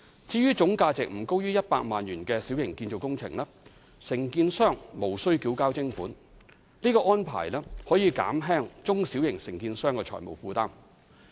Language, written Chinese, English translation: Cantonese, 至於總價值不高於100萬元的小型建造工程，承建商則無須繳交徵款，而這個安排可以減輕中小型承建商的財務負擔。, To alleviate the financial burden on small and medium contractors small - scale construction operations with total value not exceeding the levy threshold at 1 million are not liable to the levy